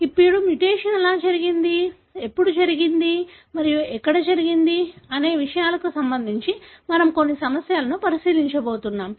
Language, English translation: Telugu, Now, we are going to look into some issues with regard to how the mutation happened, when does it happened and where did it happened